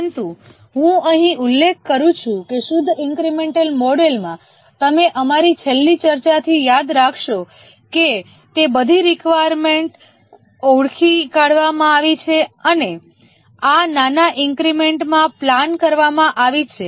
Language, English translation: Gujarati, But let me mention here that in the purely incremental model as you might have remember from our last discussion that all those requirements are identified and these are planned into small increments